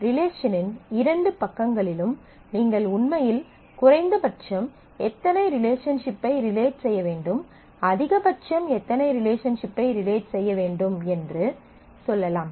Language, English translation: Tamil, You can actually say on the 2 sides of the relationship, that at the minimum how many entities should relate, and at the maximum how many entities can relate